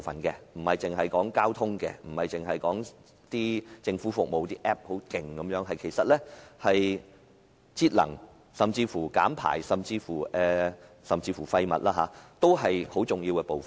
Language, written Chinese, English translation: Cantonese, 換言之，除了交通和政府服務應用程式外，節能、減排及廢物處理，也是智慧城市的重要部分。, Apart from transport and government services applications energy conservation emissions reduction and waste management are also important elements of smart cities